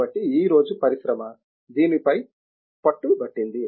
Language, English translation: Telugu, So, therefore, the industry today insists on this